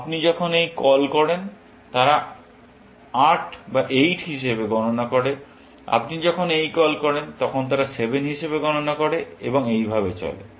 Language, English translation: Bengali, When you make this call, they count as 8; when you make this call, they count as 7 and so on